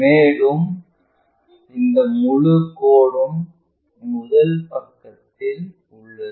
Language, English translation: Tamil, And, this entire line is in the 1st quadrant